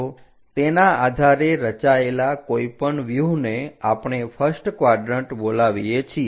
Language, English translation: Gujarati, So, any views constructed based on that we call first quadrant